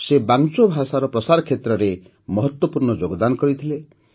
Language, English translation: Odia, He has made an important contribution in the spread of Wancho language